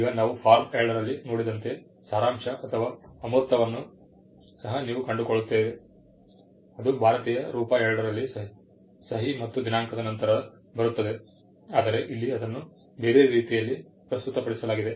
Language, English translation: Kannada, Now, you find the abstract also the abstract as we had just seen in form 2 comes after the signature and date in the Indian form 2, it comes after, but here it is presented in a different way